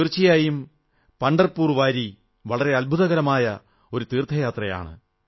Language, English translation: Malayalam, Actually, Pandharpur Wari is an amazing journey in itself